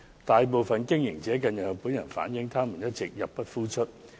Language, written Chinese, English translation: Cantonese, 大部分營運者近日向本人反映，他們一直入不敷出。, Most of the operators have relayed to me recently that they have all along been unable to make ends meet